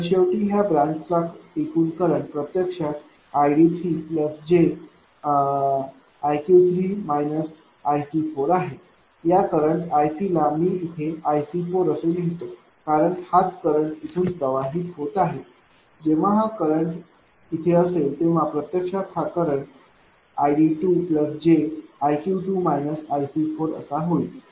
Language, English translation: Marathi, So, ultimately this branch effective current will be i d 3 plus j i q 3 minus i C 4 this node this is your i C, I can make it i C 4 right because this current will be flowing this when this current will be here, this current actually will become i d 2 plus j i q 2 minus i C 4 right